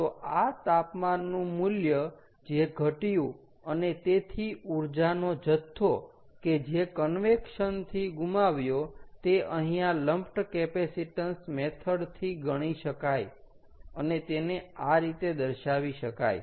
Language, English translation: Gujarati, so this is the amount of temperature that has dropped and therefore the amount of energy that has been lost due to convection can be calculate here using lumped capacitance method, and this is the expression that we get